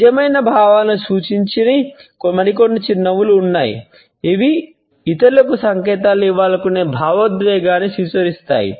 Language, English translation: Telugu, And there are some other smiles which do not represent true feelings, rather they represent the emotion which we want to signal to others